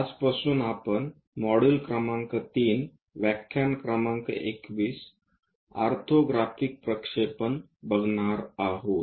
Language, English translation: Marathi, From today onwards, we will cover module number 3 with lecture number 21, Orthographic Projections